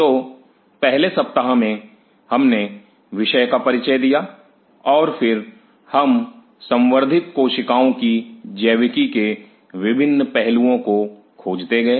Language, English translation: Hindi, So, in the first week, we introduced the subject and then we went on exploring the different aspect of the biology of the cultured cells